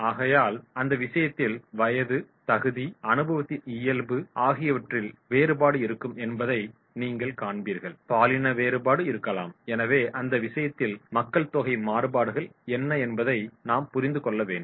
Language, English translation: Tamil, Therefore, in that case you will find that is there will be the difference into the age, qualification, natural of experience, maybe the gender diversity is also there, and therefore in that case we have to understand what type of the groups demographic variables are there